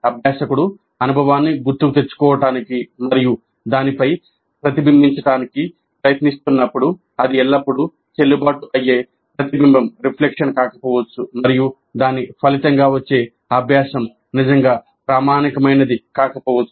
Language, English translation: Telugu, So, when the learner is trying to recollect the experience and reflect on it, it may not be always a valid reflection and the learning that results from it may not be really authentic